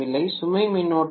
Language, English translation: Tamil, Load current is not present